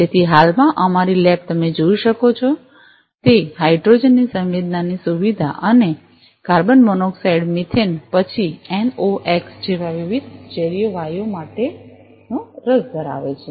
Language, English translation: Gujarati, So, at present our lab is interested to measure the sensing facility of hydrogen that you can see and various toxic gases like carbon monoxide methane, then NOx